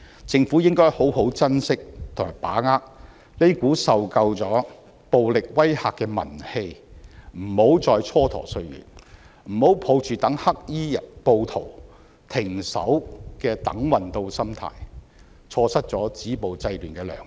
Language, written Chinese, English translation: Cantonese, 政府應該好好珍惜和把握這股受夠暴力威嚇的民氣，不要再蹉跎歲月，不要抱着待黑衣暴徒停手的"等運到"心態，錯失止暴制亂的良機。, The Government should treasure and leverage on the public sentiments of those who have had enough of violence . Do not waste any more time . Do not wait for luck to show up at our doorstep and for the black - clad rioters to stop and thereby miss the golden opportunity of stopping violence and curbing disorder